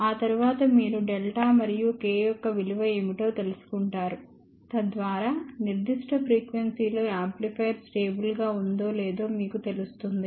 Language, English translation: Telugu, After that you find out what is the value of delta and k; so that you know whether the amplifier is stable or not at that particular frequency